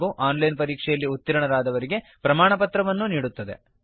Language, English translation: Kannada, Also gives certificates to those who pass an online test